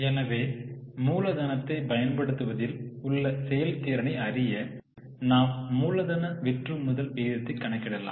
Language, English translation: Tamil, So, to know the efficiency in use of working capital, we can calculate working capital turnover ratio